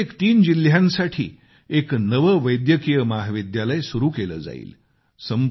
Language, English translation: Marathi, One new medical college will be set up for every three districts